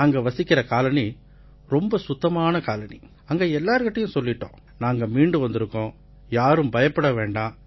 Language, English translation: Tamil, And in our colony where we live, it is a neat and clean colony, we have told everyone that, look, we have come back from Quarantine, so do not be afraid